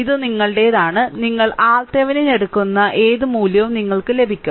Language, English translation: Malayalam, It is up to you and you will get whatever value you take R Thevenin, you will get the same thing